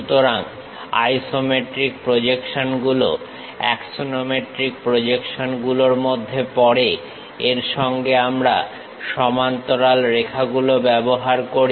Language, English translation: Bengali, So, isometric projections come under the part of axonometric projections with parallel lines we use it